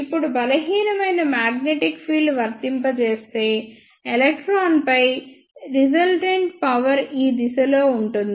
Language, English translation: Telugu, Now, if a weak magnetic field is applied, then the resultant force on the electron will be in this direction